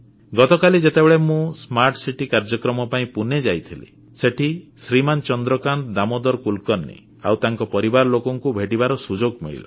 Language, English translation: Odia, Yesterday when I went to Pune for the Smart City programme, over there I got the chance to meet Shri Chandrakant Damodar Kulkarni and his family